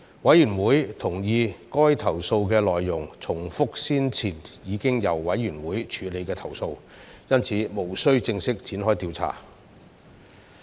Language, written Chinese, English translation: Cantonese, 委員會同意該投訴的內容重複了先前已經由委員會處理的投訴，因此，無須正式展開調查。, The Committee agreed that such cases repeated complaints previously disposed of through the Committee therefore no formal investigative actions would be taken